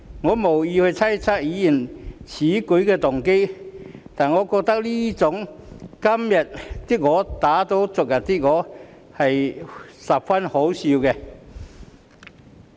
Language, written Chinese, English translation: Cantonese, 我無意猜測議員此舉的動機，但我認為這種"今天的我打倒昨天的我"的行為十分可笑。, I have no intention to speculate on the motives behind the Member making such a move but I consider such backtracking behaviour very laughable